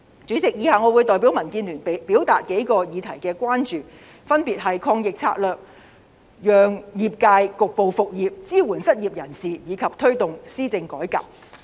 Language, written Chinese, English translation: Cantonese, 主席，以下我會代表民建聯表達數個議題的關注，分別是抗疫策略、讓業界局部復業、支援失業人士及推動施政改革。, President I am going to expound on DABs concerns in the following areas . Namely anti - epidemic strategies allowing the business sector to resume business supporting unemployed people and promoting reform in governance